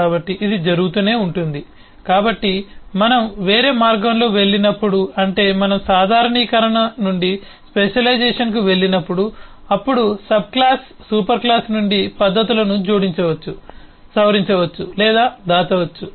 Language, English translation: Telugu, so when we go the other way, that is, when we go from generalisation to specialisation, then a subclass can add, modify or hide methods from the superclass